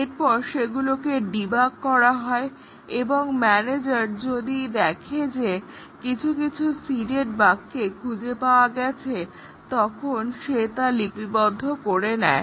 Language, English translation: Bengali, The failures are detected and then, they are debugged and if the manager finds out that some of the seeded bugs have surfaced have been detected he takes a note of that